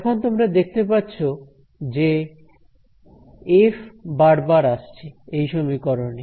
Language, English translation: Bengali, Now, you can see that there is f is appearing again and again over here in this expression